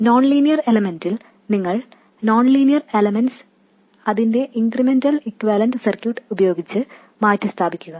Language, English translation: Malayalam, For nonlinear elements you replace the nonlinear element by its incremental equivalent circuit